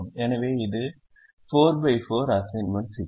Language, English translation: Tamil, so it is a four by four assignment problem